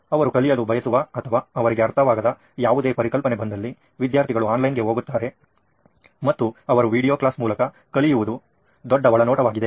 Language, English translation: Kannada, Any concept that he wants to learn or he is not understood, student goes online and he is learning through videos which was a big insight